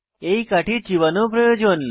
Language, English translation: Bengali, * The stick needs to be chewed on